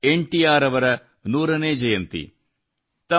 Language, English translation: Kannada, Today, is the 100th birth anniversary of NTR